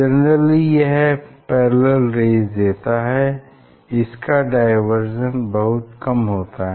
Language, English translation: Hindi, laser source generally it gives parallel rays its divergence is very small